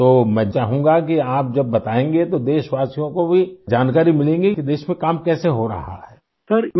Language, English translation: Urdu, So I would like that through your account the countrymen will also get information about how work is going on in the country